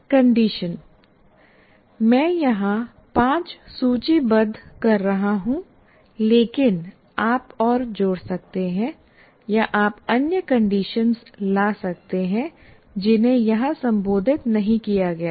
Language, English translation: Hindi, As I said, I am listing five here, but there can be, you can add more or you can bring other conditions that are not addressed as a part of any of this